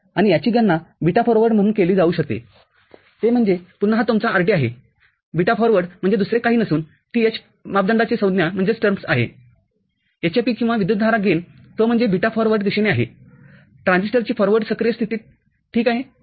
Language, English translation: Marathi, And, this can be calculated as the beta forward that is again, this is your rd, beta forward is nothing but that h parameter term hfe, hfe or we know the current gain, that is the beta in the forward direction forward active mode of the transistor, ok